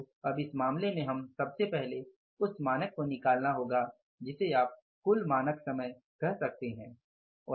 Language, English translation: Hindi, So now in this case we will have to first of all work out the standard you can call it as the standard time, total standard time